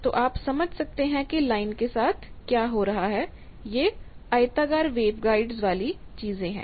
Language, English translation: Hindi, So, you can sense what is happening along the line, this is the rectangular wave guides thing